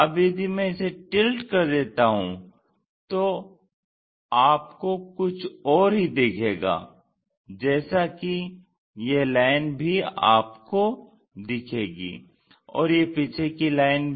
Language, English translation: Hindi, Now, if I tilt that you see something else, like this line you will see this one and also that backside line here you see this one